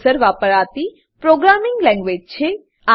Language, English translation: Gujarati, It is a general purpose programming language